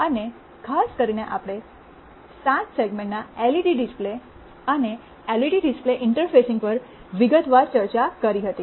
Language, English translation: Gujarati, And specifically we had detailed discussions on 7 segment LED display and LCD display interfacing